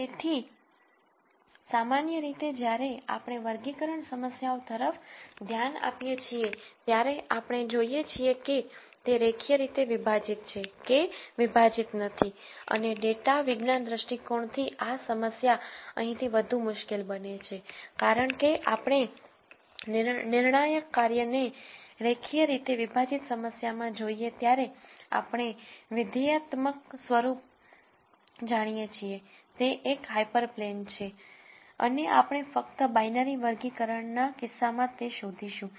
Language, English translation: Gujarati, So, in general when we look at classification problems we are we look at whether they are linearly separable or not separable and from data science view point this problem right here becomes lot harder because when we look at the decision function in a linearly separable problem we know the functional form, it is a hyper plane, and we are simply going to look for that in the binary classification case